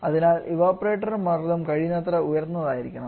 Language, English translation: Malayalam, So, the evaporator pressure should be as highest possible